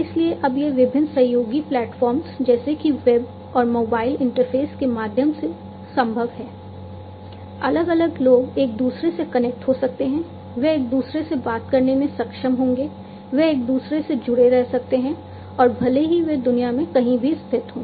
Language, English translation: Hindi, So, now it is possible through different collaborative platforms, such as web and mobile interface different people, they would be able to talk to one another they can remain connected to one another and irrespective of where they are located in the world they you can connect to one another